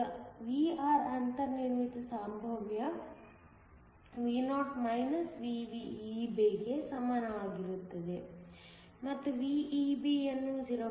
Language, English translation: Kannada, Now we have Vr to be equal to the built in potential Vo VEB and VEB is given as 0